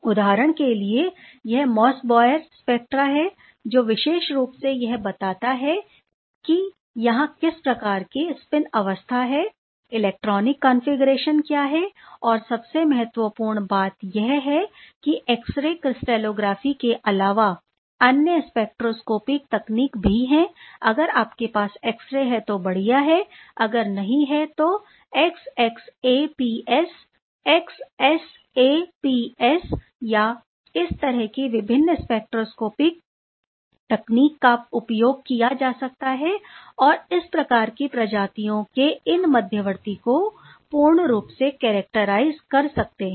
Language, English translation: Hindi, s or in addition to that for iron for example, iron centers this is the Mossbauer spectra will be quite amazing to characterize specifically to tell what sort of spin state is there; what is the electronic configuration and most importantly there are other spectroscopic technique in addition to the X ray crystallography if X ray is there that is fantastic if it is not available also the XXAPS XSAPS these sort of different spectroscopic technique can be use to further characterize these intermediate with almost 100 percent confidence for these sort of species